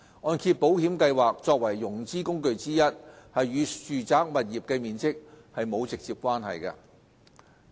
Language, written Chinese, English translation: Cantonese, 按保計劃作為融資工具之一，與住宅物業的面積沒有直接關係。, As one of the financing tools the MIP has no direct correlation with the size of residential properties